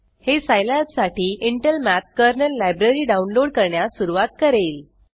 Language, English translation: Marathi, It is required to download and install Intel Math Kernal Library